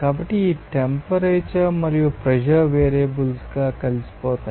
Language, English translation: Telugu, So, this temperature and pressures will be integrated as variables